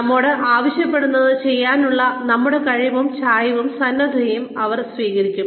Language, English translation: Malayalam, They should also take our ability, and inclination, willingness, to do what we are being asked to do